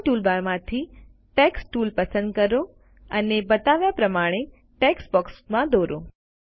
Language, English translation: Gujarati, From the Drawing toolbar, select the Text tool and draw a text box as shown